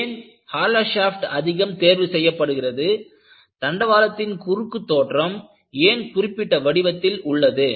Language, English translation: Tamil, Why a hollow shaft is preferred and why a rail section takes a particular shape